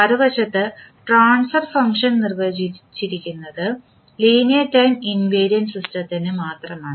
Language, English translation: Malayalam, While transfer function on the other hand are defined only for linear time invariant system